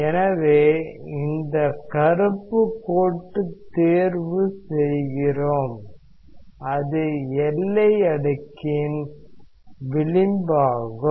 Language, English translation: Tamil, So, let us say that we choose a so this black line what is there, it is the edge of the boundary layer